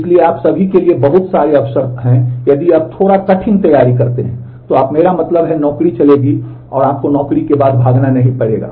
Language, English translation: Hindi, So, there are whole lot of opportunities for you all if you if you prepare a little hard, then you will I mean job will run after, you will not have to run after the job